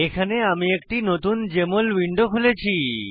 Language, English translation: Bengali, Here I have opened a new Jmol window